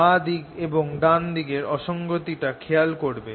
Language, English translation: Bengali, you see the inconsistency of the left hand side and the right hand side